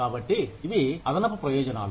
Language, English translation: Telugu, So, these are the added benefits